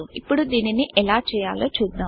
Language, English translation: Telugu, Now let us see how to do so